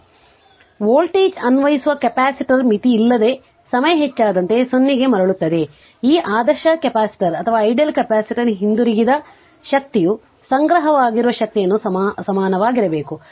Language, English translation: Kannada, So, the voltage applied to the capacitor returns to 0 as time increases without your limit, so the energy returned by this ideal capacitor must equal the energy stored right